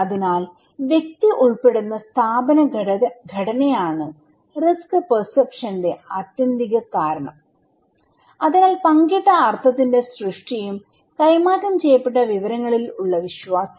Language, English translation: Malayalam, So, institutional structure of at which the individual belong is the ultimate cause of risk perception so, creation of shared meaning and trust over the transfer of quantitative information